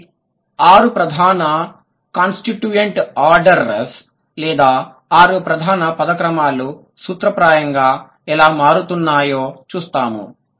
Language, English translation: Telugu, So, the six major constituent orders, or the six major word orders, in principle how they are changing